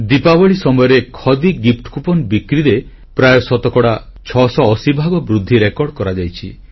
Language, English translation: Odia, During Diwali, Khadi gift coupon sales recorded an overwhelming 680 per cent rise